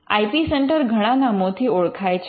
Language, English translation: Gujarati, Now, the IP centre is known by many names